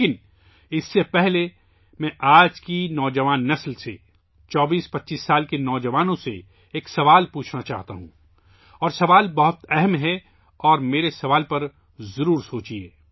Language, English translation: Urdu, But, before that I want to ask a question to the youth of today's generation, to the youth in the age group of 2425 years, and the question is very serious… do ponder my question over